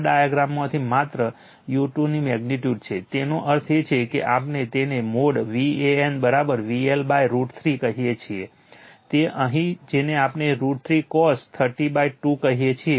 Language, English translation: Gujarati, From this diagram only right magnitude u 2 so; that means, your what we call mod val is equal to V L upon root 3 cos here what we call root cos 30 is equal to 3 by 2